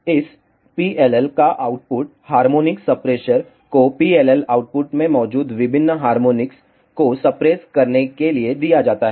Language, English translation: Hindi, The output of this PLL is given to the harmonic suppressor to suppress out various harmonics present in the PLL output